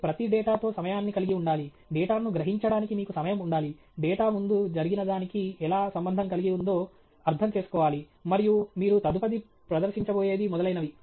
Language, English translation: Telugu, You have to have time with each piece of data, you have to have time absorb the data, understand the how the data relates to something that happened before, and something that’s you are going to present next and so on